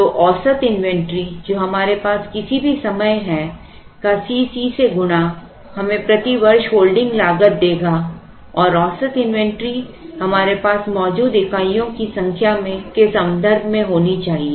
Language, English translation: Hindi, So, what is the average inventory that we have at any point in time multiplied by C c will give us the holding cost per year and the average inventory should be in terms of number of units that we have